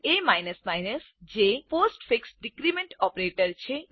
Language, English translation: Gujarati, a is a postfix decrement operator